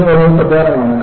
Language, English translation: Malayalam, And this is very very important